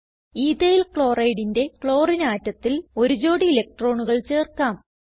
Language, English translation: Malayalam, Lets add a pair of electrons on the Chlorine atom of EthylChloride